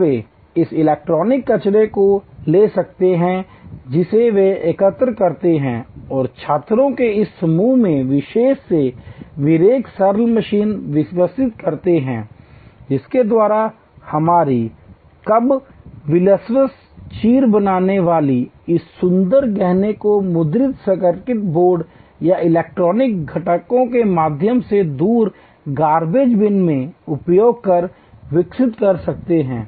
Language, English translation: Hindi, And they can take this electronic waste which they collect and this group of students particularly Vivek develop simple machines by which our kabaliwalahs rag pickers can develop this beautiful jewelry using electronic waste parts of printed circuit boards or electronic components through in away garbage bin